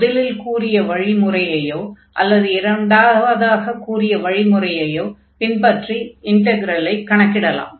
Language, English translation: Tamil, And then either we can take the first integral or the second one to compute